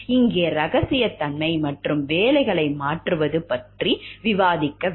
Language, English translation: Tamil, Here we will discuss about confidentiality and the changing of jobs